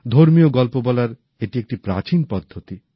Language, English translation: Bengali, This is an ancient form of religious storytelling